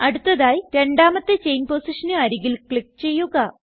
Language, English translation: Malayalam, Next, click near the second chain position